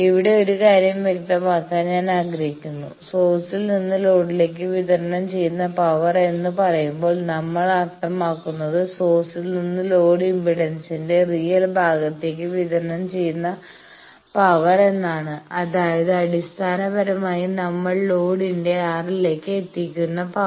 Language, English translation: Malayalam, Here I want to clarify one point, that when we say power delivered from source to load basically we mean power delivered from source to real part of load impedance; that means, basically the power that we deliver to the R L of the load